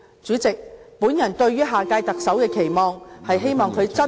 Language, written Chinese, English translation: Cantonese, 主席，我對於下屆特首的期望......, President my expectations for the next Chief Executive I hope that he or she is a person of action